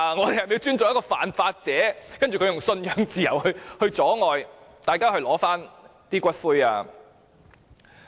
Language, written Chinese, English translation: Cantonese, 是否要尊重犯法者，而它以信仰自由來阻礙大家領取骨灰？, Do we have to respect lawbreakers while they use religious freedom to hinder people from claiming the ashes?